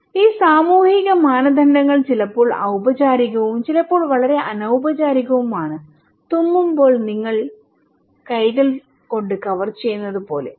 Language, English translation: Malayalam, And these social norms are sometimes formal, sometimes very informal like you can put cover your hands when you were sneezing